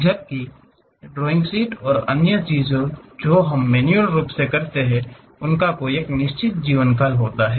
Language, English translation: Hindi, Whereas, a drawing sheets and other things what manually we do they have a lifetime